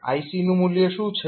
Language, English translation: Gujarati, What is the value of ic